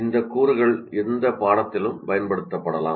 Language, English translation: Tamil, That means these components can be used in any type of course